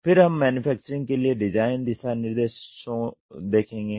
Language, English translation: Hindi, Then design for manufacturing guidelines we will see